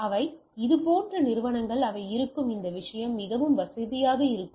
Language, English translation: Tamil, They are companies like these they are will be are will be very convenient to have this thing